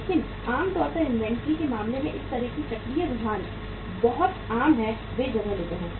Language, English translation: Hindi, But normally in case of inventory this kind of the cyclical trends are very common, they take place